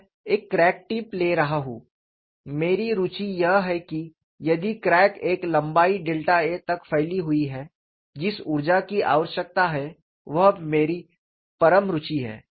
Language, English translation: Hindi, I am taking a crack tip, my interest is if the crack extends by a length delta a, what is the energy that is required is my ultimate interest